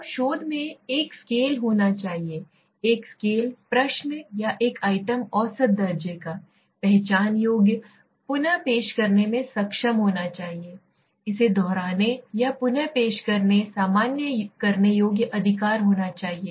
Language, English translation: Hindi, Now in the research we need to have a scale, a scale should be a question or an item should be measurable, identifiable, reproduce able, you should be able to replicate or reproduce it, generalizable right